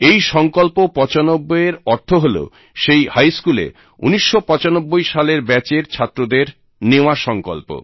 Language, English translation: Bengali, 'Sankalp 95' means, the resolve undertaken by the 1995 Batch of that High School